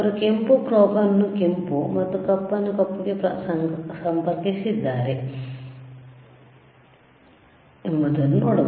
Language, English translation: Kannada, Again, sSee how he is connecting red probe red one to red and black one to black, red to red black to black